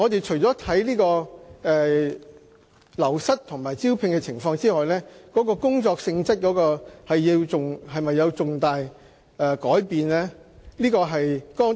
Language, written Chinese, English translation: Cantonese, 除了審視流失和招聘情況外，我們亦會審視工作性質是否有重大改變。, In addition to examining wastage and recruitment we also examine whether there has been a significant change in the job nature